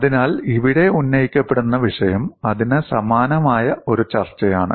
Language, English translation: Malayalam, So, the point that is raised here is a discussion something similar to that